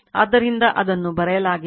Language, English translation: Kannada, So, that is what is written in right